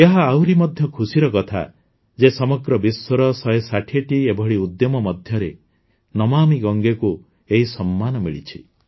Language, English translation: Odia, It is even more heartening that 'Namami Gange' has received this honor among 160 such initiatives from all over the world